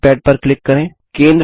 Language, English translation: Hindi, Click on the drawing pad